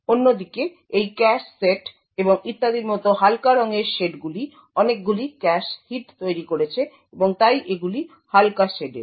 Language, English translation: Bengali, On the other hand the lighter shades like this cache set and so on have incurred a lot of cache hits and therefore are a lighter shade